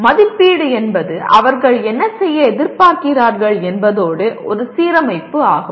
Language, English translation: Tamil, Assessment is an alignment with what they are expected to do